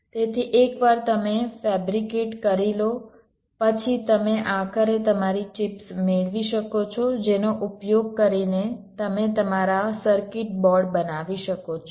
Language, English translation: Gujarati, so once your fabricated, you can finally get your chips using which you can create your circuit boards